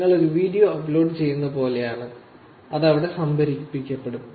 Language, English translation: Malayalam, YouTube is more like you upload a video and it gets stored there